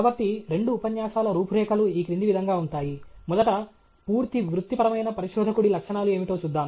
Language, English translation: Telugu, So, the outline of the two lectures will be as follows: first, we will see what are the attributes of becoming a fully professional researcher